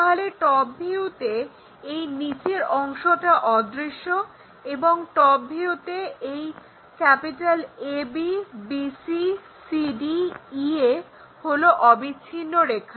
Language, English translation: Bengali, So, in the top view, this bottom one is invisible and this ab, bc, cd, ea are full lines in top view